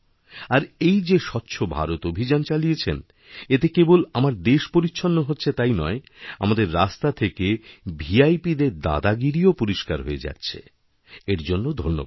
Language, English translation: Bengali, And the Swachch Bharat Campaign that you have launched will not only clean our country, it will get rid of the VIP hegemony from our roads